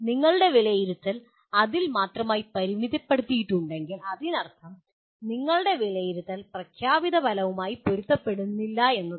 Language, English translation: Malayalam, If your assessment is only limited to that, that means your assessment is not in alignment with the stated outcome